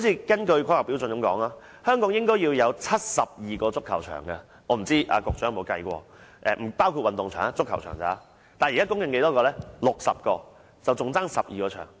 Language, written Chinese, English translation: Cantonese, 根據《規劃標準》，香港應該要有72個足球場，我不知局長曾否計算過，這只是足球場的數字，不包括運動場。, According to HKPSG Hong Kong should have 72 football pitches . I do not know if the Secretary has done calculation himself or not . But this number only refers to the number of football pitches and does not include sports grounds